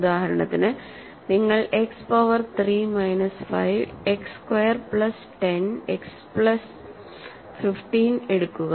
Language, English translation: Malayalam, So, for example, if you take X power 3 minus 5 X squared plus 10 X plus 15, right